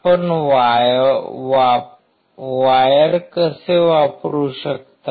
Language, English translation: Marathi, How you can use wire